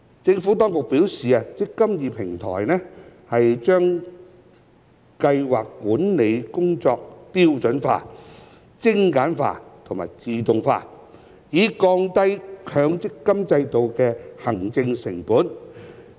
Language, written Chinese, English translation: Cantonese, 政府當局表示，"積金易"平台把計劃管理工作標準化、精簡化和自動化，以降低強積金制度的行政成本。, The Administration has advised that with standardization streamlining and automation of the scheme administration work the eMPF Platform will bring down the administration costs of the MPF System